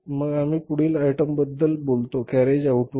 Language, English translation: Marathi, Then we talk about the next item is that is the carriage outward